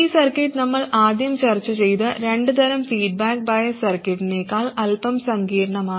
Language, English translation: Malayalam, Again this circuit is slightly more complicated than the first two types of feedback biasing that we discussed